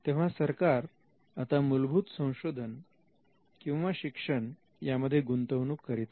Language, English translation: Marathi, So, when the state is investing in basic research or the state is investing in education